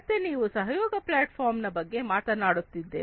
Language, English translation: Kannada, So, we are talking about a collaboration platform